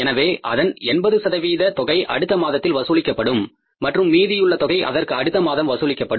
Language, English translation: Tamil, So out of this 70% of this will be collected in the next month and then remaining amount will be collected in the next to next month